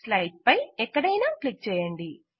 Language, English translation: Telugu, Click anywhere in the slide